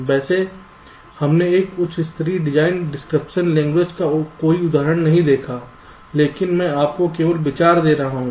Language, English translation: Hindi, well, we have not seen any example of a high level design description language, but i am just giving you the [vocalized noise] ah, giving you the idea